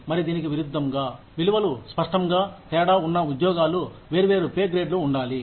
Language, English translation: Telugu, And conversely, jobs that clearly differ in value, should be in different pay grades